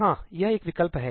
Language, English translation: Hindi, Yeah, that is one option